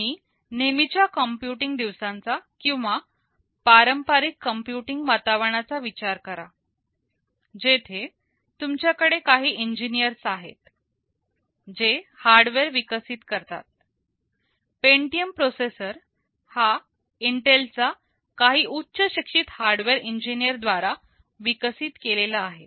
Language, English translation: Marathi, You think about the conventional computing days or traditional computing environment, where you have a set of engineers, who develop the hardware, the Pentium processor is developed by Intel by a set of highly qualified hardware engineers